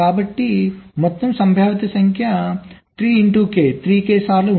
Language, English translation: Telugu, so the total number of possiblities will be three into three